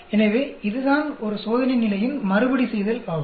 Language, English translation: Tamil, So, that is repetition of an experimental condition